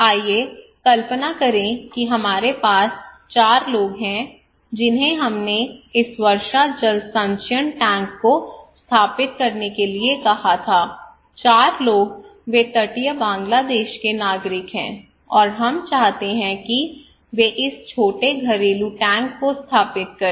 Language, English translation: Hindi, Let us imagine that we have four people whom we asked to install this rainwater harvesting tank okay it is simple, four people they are the citizen of Bangladesh in coastal Bangladesh, and we want them to install this small household tank